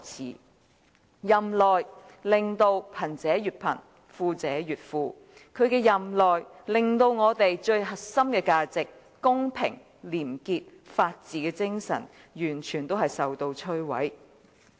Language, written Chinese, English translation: Cantonese, 在他任內，令貧者越貧、富者越富；在他任內，令我們最核心的價值即公平、廉潔和法治的精神完全摧毀。, During his tenure he has made the poor even poorer and the rich even richer . During his tenure our most important core values namely equity cleanliness and the spirit of rule of law have been destroyed completely